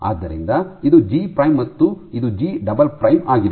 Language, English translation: Kannada, So, this is G prime and this is G double prime